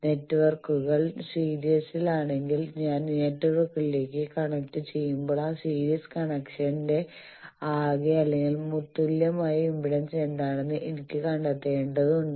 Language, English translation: Malayalam, And when I connect to networks if they are in series then I need to find out impedances of them so that I can find out what is the total or equivalent impedance of that series connection